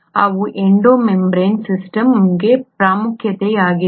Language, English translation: Kannada, So that is the importance of the Endo membrane system